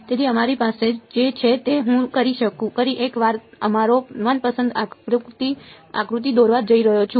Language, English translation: Gujarati, So, what we have I am going to a draw our favourite diagram once again right